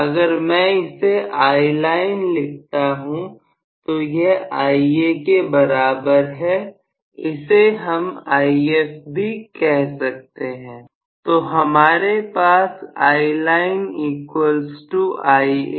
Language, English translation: Hindi, So, if I write it as Iline the same thing is true with respect to Ia the same thing is also If